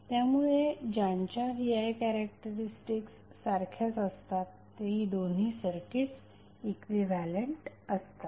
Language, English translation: Marathi, So, that means that both of the circuits are equivalent because their V I characteristics are same